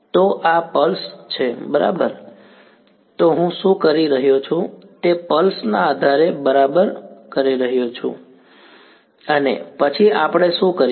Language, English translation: Gujarati, So, this is a pulse right, so, what I am doing I am doing pulse basis right and then what do we do